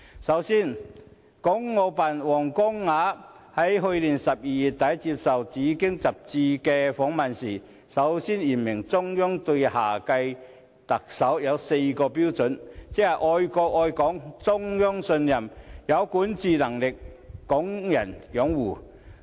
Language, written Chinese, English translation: Cantonese, 首先，港澳辦主任王光亞在去年12月底接受《紫荊》雜誌訪問時，首次言明中央就下屆特首所訂的四大標準，即"愛國愛港、中央信任、有管治能力、港人擁護"。, To begin with when the Director of Hong Kong and Macao Affairs Office WANG Guangya was interviewed by the Bauhinia Magazine at the end of December last year he explicitly stated for the first time the four major prerequisites of the next Chief Executive namely love for the country and Hong Kong the Central Authorities trust governance ability and Hong Kong peoples support